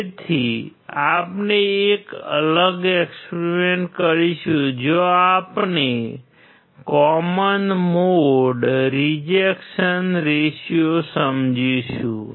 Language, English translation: Gujarati, So, we will do a separate experiment where we will understand common mode rejection ratio